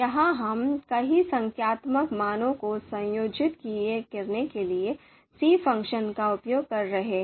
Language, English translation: Hindi, So the numbers you can see in here that we are using c function combine function to combine a number of numeric values